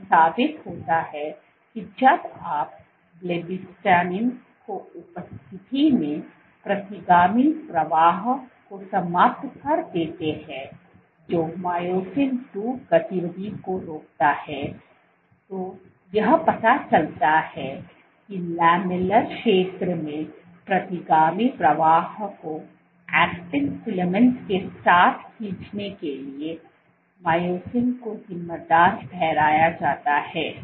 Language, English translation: Hindi, So, this proves, this point proves that when you have retrograde flow eliminated in the presence of blebbistatin which inhibits myosin II activity it suggests that retrograde flow in the lamellar region is attributed to myosin to pulling along actin filaments